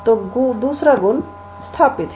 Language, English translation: Hindi, So, the second property is established